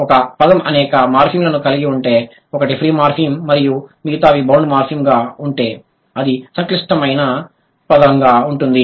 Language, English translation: Telugu, If the word has many morphems, one free and others are bound, it will be complex word